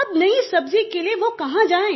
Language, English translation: Hindi, Now where would he go for new vegetables